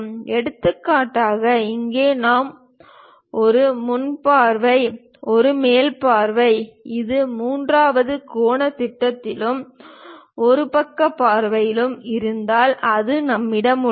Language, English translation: Tamil, For example, here we have a front view, a top view ah; if it is in third angle projection and a side view we have it